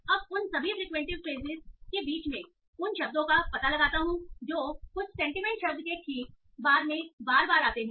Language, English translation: Hindi, Now among all that frequent phrases, I find out those that occur a lot right after some sentiment word